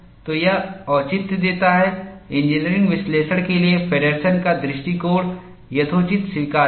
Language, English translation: Hindi, So, this gives the justification, Feddersen’s approach for engineering analysis is reasonably acceptable